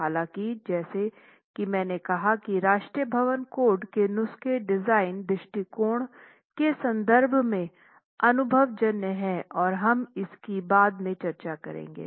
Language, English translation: Hindi, However, as I said, the National Building Code prescriptions are empirical in terms of the design approach and we will examine that subsequently